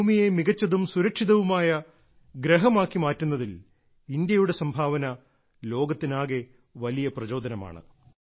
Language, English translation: Malayalam, India's contribution in making this earth a better and safer planet is a big inspiration for the entire world